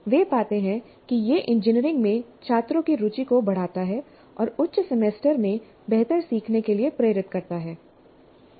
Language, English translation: Hindi, They find that this enhances student interest in engineering and motivates better learning in higher semesters